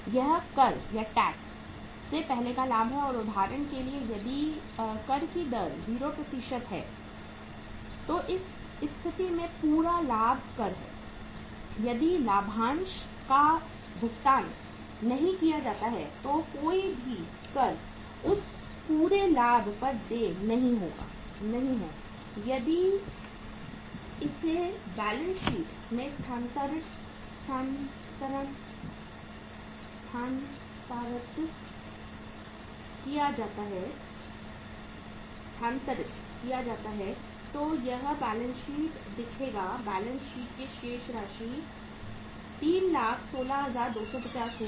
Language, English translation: Hindi, This is the profit before tax and for example if the tax rate is 0 in that case entire tax profit if no dividend is also paid, no tax is due on that entire profit if it is transferred to the balance sheet then this balance sheet will look like that the balance of the balance sheet will be 3,162,50